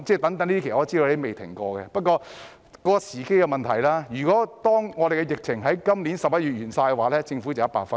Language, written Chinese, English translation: Cantonese, 不過，這是時機問題，如果疫情在去年11月完結，政府會得100分。, Nonetheless it is a matter of timing . If the epidemic had ended in November last year the Government would have scored 100 marks